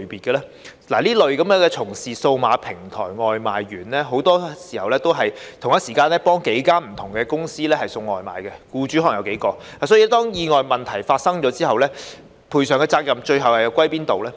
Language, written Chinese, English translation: Cantonese, 這類從事數碼平台的外賣員很多時候同時替數間不同的公司送外賣，僱主可能有數個，因此當意外和問題發生後，賠償的責任最後又屬於哪方呢？, self - employed persons and employees? . Given that takeaway delivery workers engaging in services provided via digital platforms will usually work for a number of different companies and have several employers at the same time which party should ultimately be responsible for their compensation in the event of accidents and unforeseen problems?